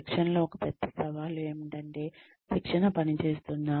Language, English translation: Telugu, The one big challenge in training is, will the training work